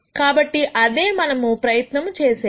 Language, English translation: Telugu, So, that is what we are going to try and do